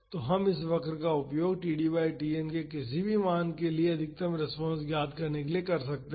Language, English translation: Hindi, So, we can use this curve to find the maximum response for any value of td by Tn